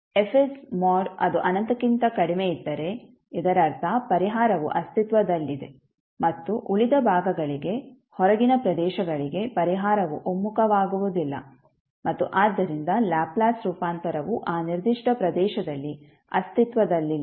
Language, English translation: Kannada, That mod of Fs if it is less than infinity it means that the solution exists and for rest of the section the outside the region the solution will not converge and therefore the Laplace transform will not exist in that particular region